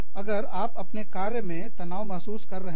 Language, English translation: Hindi, If you are feeling, stressed at work